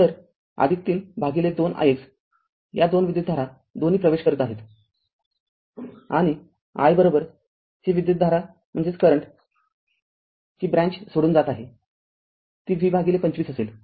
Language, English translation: Marathi, So, plus 3 by 2 i x right these 2 current both are entering and is equal to this current is leaving to this branch it will be V by 25